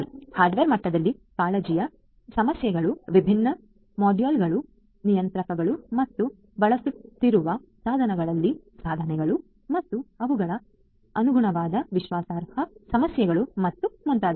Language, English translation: Kannada, At the hardware level the issues of concern are the different modules, the controllers and the in devices that are being used and their corresponding trust issues and so on